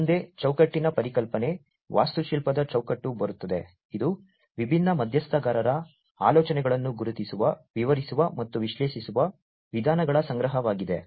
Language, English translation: Kannada, Next comes the concept of the frame, the architectural frame, which is a collection of ways which identify, describe, and analyze the ideas of the different stakeholders